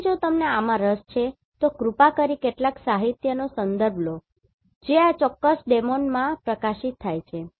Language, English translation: Gujarati, So, in case if you are interested in this please refer some of the literature which are published in this particular domain